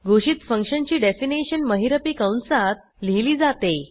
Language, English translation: Marathi, The definition of a declared function is written between curly braces